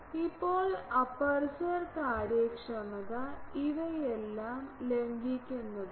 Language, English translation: Malayalam, Now, aperture efficiency is violation of all these